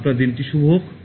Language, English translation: Bengali, Have a nice day